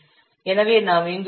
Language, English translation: Tamil, This is coming to 1